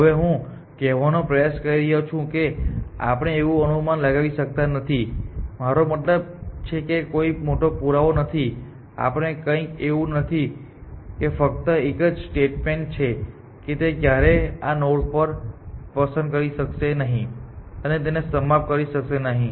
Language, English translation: Gujarati, Now what I am trying to say that we cannot make this assumption, I mean it is not the long proof or something it just 1 statement it say that it can never pick this such a node and terminate